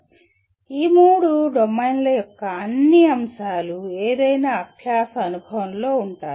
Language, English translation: Telugu, But all the elements of these three domains will be present in any learning experience